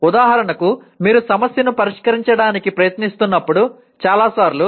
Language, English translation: Telugu, For example many times when you are trying to solve a problem